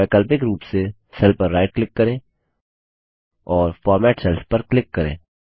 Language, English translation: Hindi, Alternately, right click on the cell and click on Format Cells